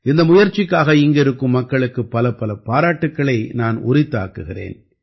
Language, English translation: Tamil, I congratulate the people there for this endeavour